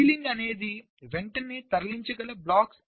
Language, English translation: Telugu, so ceiling is the blocks which can be moved immediately